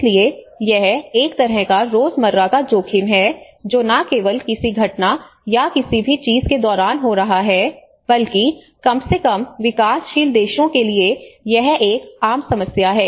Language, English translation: Hindi, So this is a kind of everyday risk it is not just only happening during an event or anything, but it is a common problem for the developing at least the developing countries